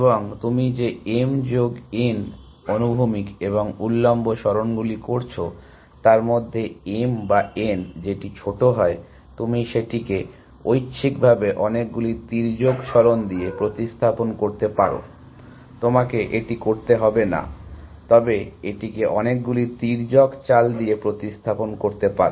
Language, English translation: Bengali, And out of the m plus n horizontal and vertical moves that you are making, whichever is smaller m or n, you can replace it with that many diagonal moves optionally, you do not have to, but you can replace it with that many diagonals moves